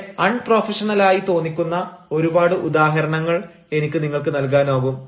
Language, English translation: Malayalam, there are several examples i can give you which sound very unprofessional